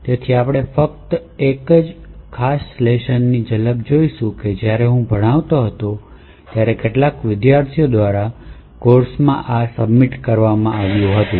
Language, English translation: Gujarati, So, we will be just glimpsing about one particular assignment which was submitted by some of the students in the course when I was actually teaching it